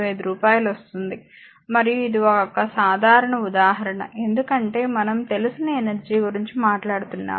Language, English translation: Telugu, 265 per kilowatt hour and this is simple example, because we have taken know that energy we are talking of